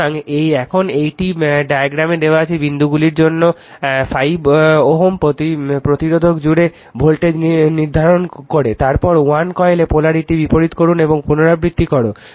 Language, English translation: Bengali, So, now this one determine the voltage across the 5 ohm resister for the dots given in the diagram, then reverse the polarity in 1 coil and repeat